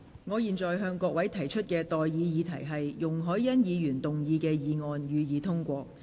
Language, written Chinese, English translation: Cantonese, 我現在向各位提出的待議議題是：容海恩議員動議的議案，予以通過。, I now propose the question to you and that is That the motion moved by Ms YUNG Hoi - yan be passed